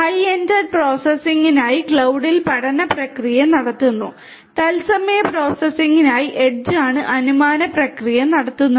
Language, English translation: Malayalam, The learning process is performed in the cloud for high end processing whereas; the inferencing process is conducted in the edge for real time processing